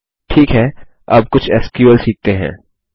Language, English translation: Hindi, Okay, let us learn some SQL now